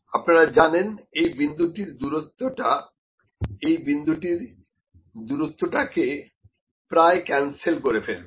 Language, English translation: Bengali, You know, this distance let me say this point would cancel almost this point, ok